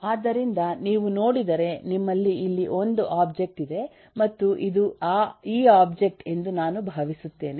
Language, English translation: Kannada, so, if you look at, you have an object here and eh, I think this is this object